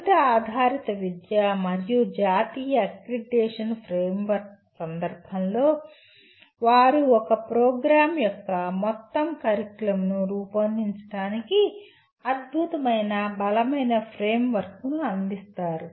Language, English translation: Telugu, One can, in the context of outcome based education as well as the national accreditation framework they provide an excellent robust framework for designing the entire curriculum of a program